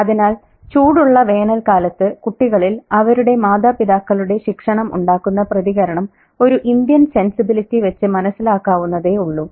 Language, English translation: Malayalam, So the Indian sensibility in terms of the children's reaction to the disciplining of the parents during hot summers is very much understandable and we could relate to it as well